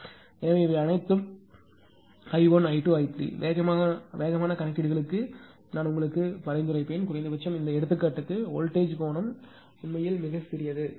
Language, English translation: Tamil, So, this is all I 1, I 2, I 3; then I will I will I will suggest you for faster calculations; at least for this example, the voltage angle actually very small